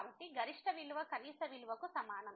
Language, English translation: Telugu, So, the maximum value is equal to the minimum value